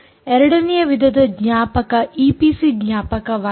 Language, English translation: Kannada, the second type of memory is the e p c memory